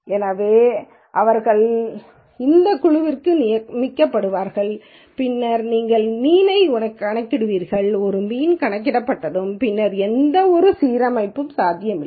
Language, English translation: Tamil, So, they will be assigned to this group then you will calculate the mean and once a mean is calculated there will never be any reassignment possible afterwards